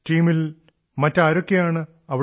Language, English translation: Malayalam, Who else is there in your team